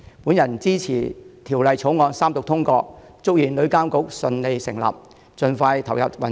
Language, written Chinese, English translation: Cantonese, 我支持《條例草案》三讀通過，祝願旅監局順利成立，盡快投入運作。, I support the Third Reading and passage of the Bill and wish for the smooth establishment of TIA and its coming into operation soon